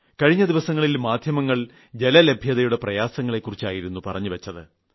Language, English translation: Malayalam, Recently the Media reported about the water crisis in great detail